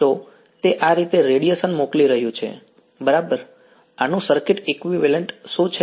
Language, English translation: Gujarati, So, it is sending out radiation like this, correct what is the circuit equivalent of this